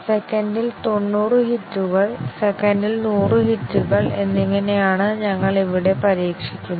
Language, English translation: Malayalam, We test here at 90 hits per second, 100 hits per second